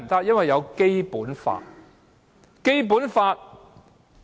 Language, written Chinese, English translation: Cantonese, 因為有《基本法》。, Because there is the Basic Law